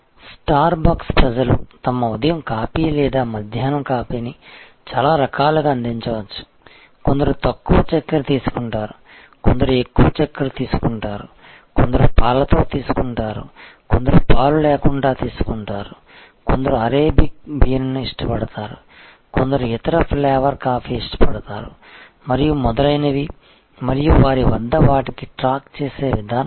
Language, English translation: Telugu, Star bucks can customize their morning coffee or afternoon coffee for people in very different ways, somebody takes less sugar, somebody takes more sugar, somebody takes it with milk, somebody takes it without milk, somebody likes Arabia bean, somebody like some other flavor of coffee and so on and they have a mechanism of keeping track